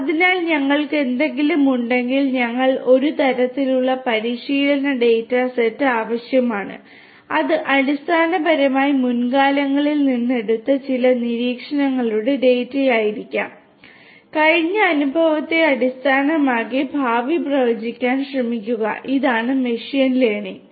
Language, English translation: Malayalam, So, what we have is that we need some kind of a training data set we need a training data set which will basically be the data of some observations that were taken from the past and based on that past experience try to predict the future this is what machine learning is all about